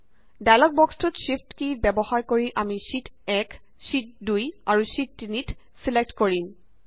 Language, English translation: Assamese, Now in the dialog box which appears, using shift key we select the options Sheet 1, Sheet 2, and Sheet 3